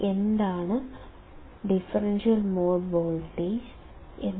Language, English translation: Malayalam, What is differential mode voltage